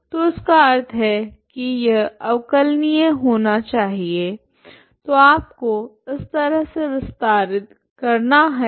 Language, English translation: Hindi, So that means it should be differentiable so you have to extend in such a way that they are differentiable